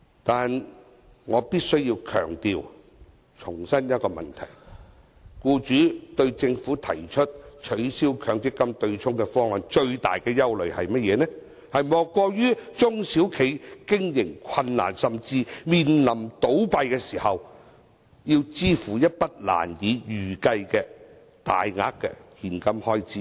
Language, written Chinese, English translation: Cantonese, 但是，我必須強調和重申一個問題，僱主對政府提出取消強積金對沖方案的最大憂慮，莫過於中小企經營困難，甚至面臨倒閉時要支付一筆難以預計的大額現金開支。, While DAB also supports the broad direction of abolishing the MPF offsetting mechanism I must emphasize and reiterate that the deepest worry of employers about the Governments proposal is the operational difficulties faced by SMEs . Even for the failing SMEs they still have to pay a large sum of cash the amount of which is hard to predict